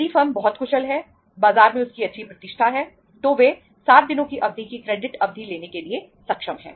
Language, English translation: Hindi, If the firm is very efficient having a good reputation in the market they may be able to have the credit period for a period of 30 days uh 60 days sorry